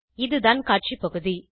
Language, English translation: Tamil, This is the Display area